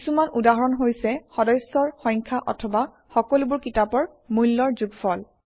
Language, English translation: Assamese, Some examples are count of all the members, or sum of the prices of all the books